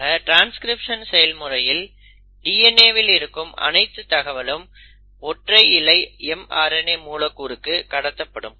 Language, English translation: Tamil, So in transcription, whatever instruction which was stored in the DNA has been copied into a single stranded mRNA molecule